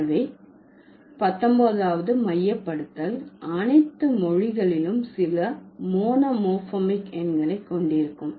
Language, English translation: Tamil, So, the 19th centralization would say that all languages have some monomorphic numerals